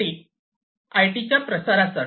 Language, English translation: Marathi, IT for IT proliferation